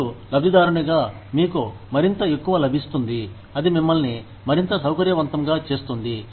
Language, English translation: Telugu, But, you, as the beneficiary, will get something more, something that will make you, more comfortable